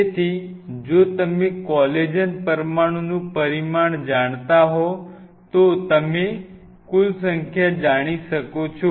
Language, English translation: Gujarati, So, if you know that the dimension of collagen molecule in terms of like, say what is the dimension of it